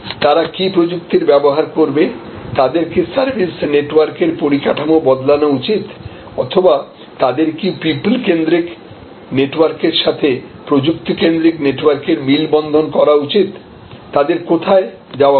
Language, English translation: Bengali, Should they employee technology, should they change the structure of their service network, should they blend the human centric network with technology centric network, where should they go